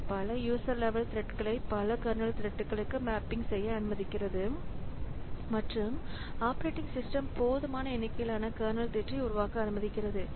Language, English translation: Tamil, So, it allows many user level threads to be mapped to many kernel threads and allows the operating system to create a sufficient number of kernel threads